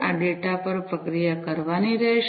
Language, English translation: Gujarati, This data will have to be processed